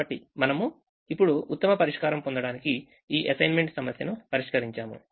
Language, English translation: Telugu, so we have now solved this assignment problem to get the best solution